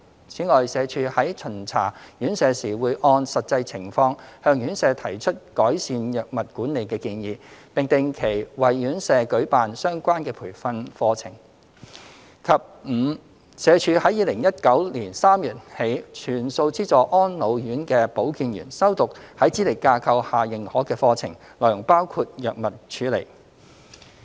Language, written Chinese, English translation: Cantonese, 此外，社署在巡查院舍時會按實際情況向院舍提出改善藥物管理的建議，並定期為院舍舉辦相關的培訓講座；及 e 社署於2019年3月起全數資助安老院的保健員修讀在資歷架構下認可的課程，內容包括藥物處理。, Furthermore SWD provides advice on how drug management should be improved depending on the actual circumstances during inspections and organizes relevant training workshops for RCHs regularly; and e Since March 2019 SWD has provided health workers of RCHEs with full subsidies to attend Qualifications Framework - based courses including those relating to drug management